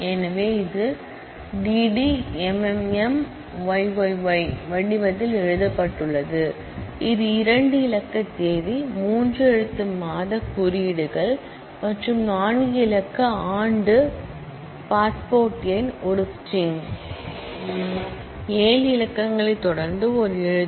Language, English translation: Tamil, So, it is written in the form of d d m m m y y y y that is two digit date, three letter month codes and four digit year, the passport number is a string, a letter followed by seven digits